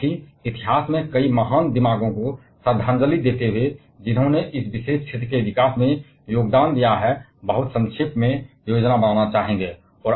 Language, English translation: Hindi, And also, would like to plan a very briefly into the history, paying out homage to several great minds who have contributed to the development of this particular field